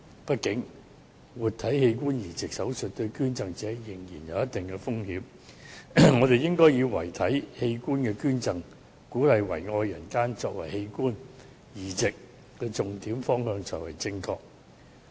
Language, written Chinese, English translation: Cantonese, 畢竟，活體器官移植手術對於捐贈者仍有一定風險，我們應以遺體器官捐贈，鼓勵遺愛人間，作為器官移植重點方向，這才是正確的。, After all the transplanting of human organs between living persons will pose certain risk to the living donors thus we should encourage cadaveric donation so that the deceased may spread their love among the living and make it the focus of organ transplant policy